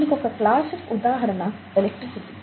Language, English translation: Telugu, A classic example is electricity